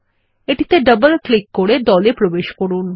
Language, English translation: Bengali, Double click on it in order to enter the group